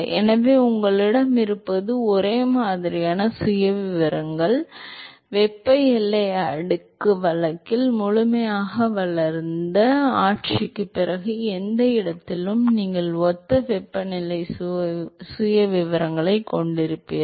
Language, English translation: Tamil, So, what you will have is similar profiles, so in any location after the fully developed regime in the thermal boundary layer case, is that you will have similar temperature profiles